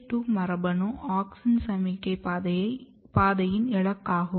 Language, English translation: Tamil, IAA2 gene is target of auxin signaling pathway